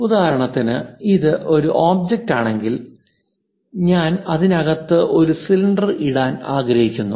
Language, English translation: Malayalam, Anything above for example, if this is the object in that I would like to put a cylinder